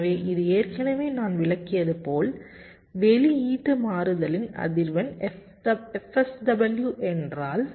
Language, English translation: Tamil, already i have ah explained that if the frequency of output switching is f